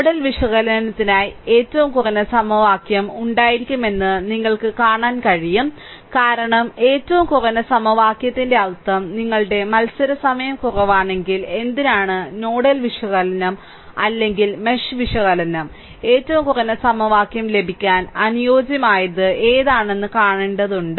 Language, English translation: Malayalam, If you see that you for nodal analysis, if you have a minimum number of equation, because if minimum number of equation means your competition time is less right; we have to see that why whether nodal analysis or mesh analysis, which one will be suitable such that you can have minimum number of equation that is the that is that idea for your what you call for nodal or mesh analysis right